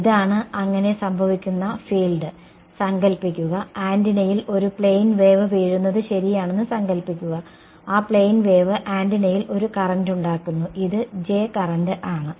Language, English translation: Malayalam, This is the field that is happening so, imagine that imagine that there is a plane wave that is falling on the antenna alright, that plane wave is inducing a current on the antenna that current is this J